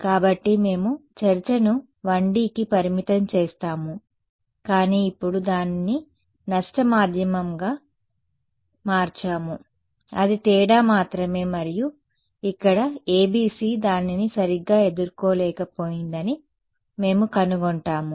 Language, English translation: Telugu, So, we will keep the discussion limited to 1D, but now change it to a lossy medium that is the only difference and here we will find that the ABC is not able to deal with it ok